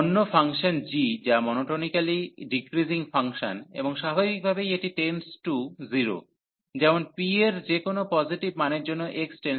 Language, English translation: Bengali, The other function g, which is monotonically decreasing function and naturally this tends to 0 as x tends infinity for any value of p positive